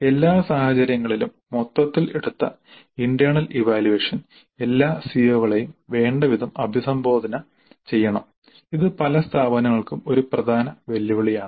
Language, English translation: Malayalam, But in all cases the internal assessment taken as a whole must address all the COS adequately and this is a major challenge for many institutes